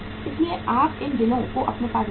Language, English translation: Hindi, So you keep these bills with you